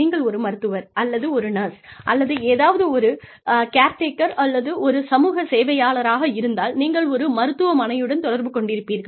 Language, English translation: Tamil, Or, if you are a nurse, or some sort of a caretaker, or a social worker, attached to a hospital